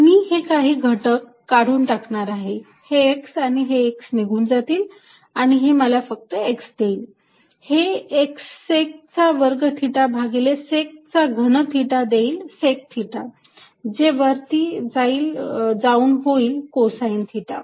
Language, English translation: Marathi, I am going to cancel some terms, this x and this x cancels with this and gives me x only, this secant square theta divided by sec cube theta gives me secant theta which becomes cosine theta on top